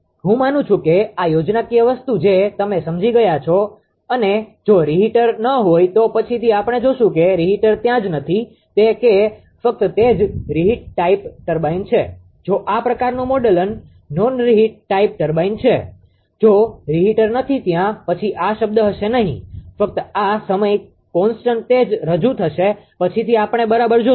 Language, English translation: Gujarati, I believe this schematic thing you have understood and if reheater is not there later we will see if reheater is not there only that only that onon reheat type turbine this thing, if this kind of model is there non reheat type turbine, if reheater is not there, then this term will not be there, this term also will be not will not be there, only this time constant it can be represented later we will see right